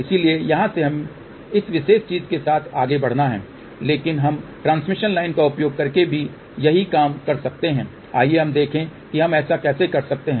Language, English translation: Hindi, So, from here we have to move along this particular thing , but we can also do the same thing using it transmission line let us see how we can do that